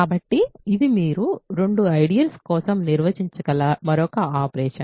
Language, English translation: Telugu, So, this is another operation that you can perform for two ideals